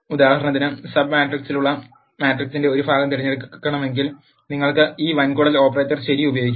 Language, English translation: Malayalam, For example if you want to select a part of matrix which has sub matrix you can use this colon operator ok